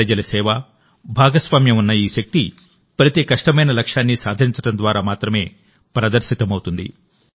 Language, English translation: Telugu, This power of public service and public participation achieves every difficult goal with certainty